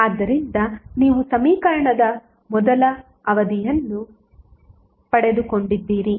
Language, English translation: Kannada, So you have got first term of the equation